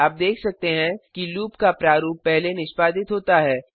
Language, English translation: Hindi, You can see that the body of loop is executed first